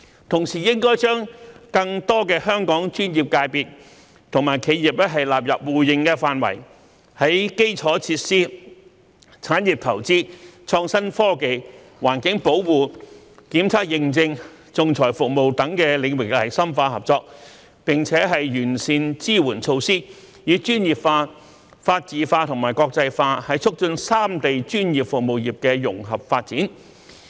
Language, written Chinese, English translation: Cantonese, 同時，粵港澳三地應將更多的香港專業界別及企業納入互認範圍，在基礎設施、產業投資、創新科技、環境保護、檢測認證和仲裁服務等領域深化合作，並完善支援措施，以專業化、法治化和國際化促進三地專業服務業的融合發展。, Meanwhile Guangdong Hong Kong and Macao should include more Hong Kong professional sectors and enterprises into the scope of mutual recognition deepen cooperation on infrastructural facilities industry investment IT environmental protection testing and certification and arbitration services and improve the supporting measures to facilitate the development of the professional services sectors of the three places under the spirits of professionalism rule of law and internationalization in an integrated manner